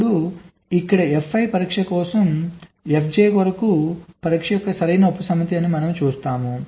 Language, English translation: Telugu, here we see that the test for f i is a proper subset of the test for f j